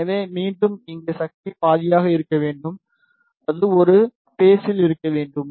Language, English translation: Tamil, So, again here the power should be half and it should be in same phase